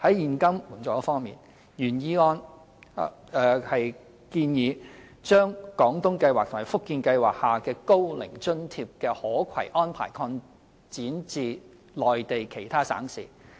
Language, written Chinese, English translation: Cantonese, 在現金援助方面，原議案建議將"廣東計劃"和"福建計劃"下高齡津貼的可攜安排擴展至內地其他省市。, As for cash assistance the original motion suggests an extension of the portability arrangements of the Old Age Allowance OAA under the Guangdong Scheme and the Fujian Scheme to other provinces in the Mainland